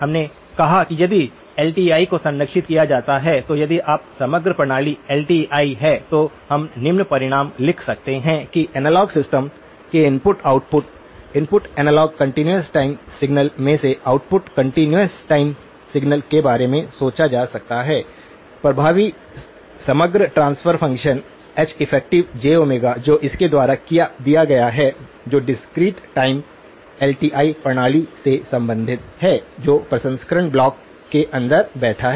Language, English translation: Hindi, We said that if LTI is preserved that you if the overall system is LTI, then we can write down the following result that the input output of the analog system, in input analogue continuous time signal and output continuous time signal can be thought of having an effective overall transfer function, H effective of j omega which is given by; which is related to the discrete time LTI system that is sitting inside the processing block